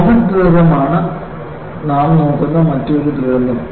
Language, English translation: Malayalam, The another disaster which we will look at is the comet disaster